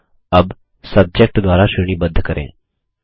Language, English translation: Hindi, Now, lets sort by Subject